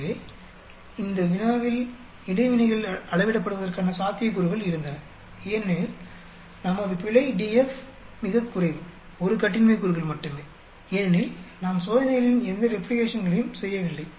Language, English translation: Tamil, So, in this problem we had possibility of interactions being measured, but then our error DF is very low only 1 degree of freedom because we have not done any replications of the experiments